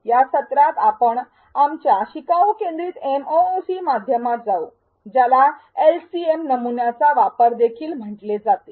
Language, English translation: Marathi, Here in this session, we will walk you through our learner centric MOOC model also called as LCM model utilized in this course